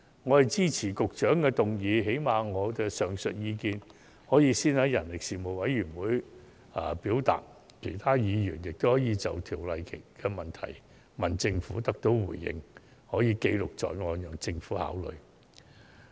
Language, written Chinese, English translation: Cantonese, 我支持局長的議案，最低限度，我的上述意見可先在事務委員會表達，而其他議員也可以就《條例草案》的疑問詢問政府並得到回應，可以記錄在案，讓政府考慮。, I support the Secretarys motion . To say the least I can express my above views at the Panels meeting and other Members can also raise their queries about the Bill with the Government for the record and its consideration and get its reply